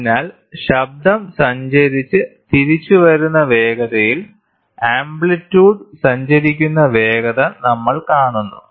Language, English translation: Malayalam, So, we see the velocity with which the amplitude travels the velocity with which the sound travels and comes back